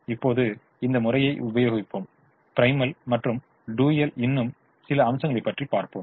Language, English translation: Tamil, now let us apply, let us look at some more aspects of the primal and the dual